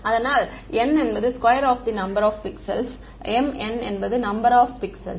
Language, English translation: Tamil, So, n is the square of the number of pixels right m n is the number of pixels